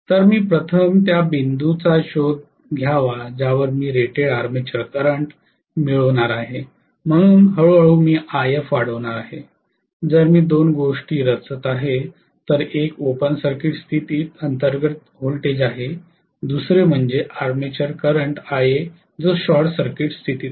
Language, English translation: Marathi, So I have to first of all look for the point at which I am going to get rated armature current slowly I am going to increase IF, I am going to plot 2 things, one is voltage under open circuit condition, the second one is armature current Ia at short circuit condition